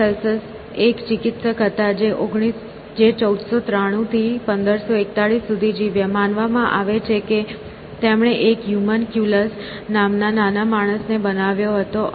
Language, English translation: Gujarati, Paracelsus was a physician lived from 1493 to 1541 is supposed to have created a little man called humunculus essentially